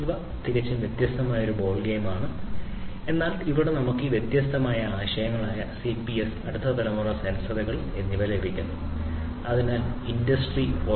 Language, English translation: Malayalam, So, obviously, that is a completely different ballgame, but here we are just getting an exposure to these different concepts of cps, next generation sensors, and so on which will be required for building Industry 4